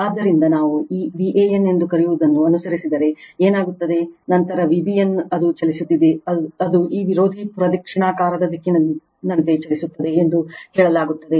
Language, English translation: Kannada, So, what will happen is if we follow the your what we call the this V a n, then V b n, it is moving it is say moving like these anti clockwise direction right